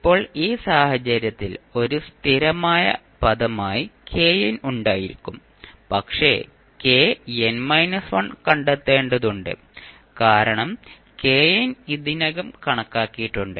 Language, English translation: Malayalam, Now, in this case, you will have k n as a constant term, but we need to find out k n minus 1 because k n we have already calculated